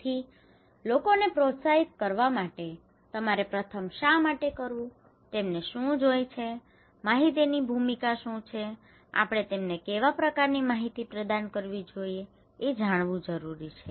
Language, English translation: Gujarati, So, in order to encourage people you first need to know why, what they need, what is the role of information, what kind of information we should provide to them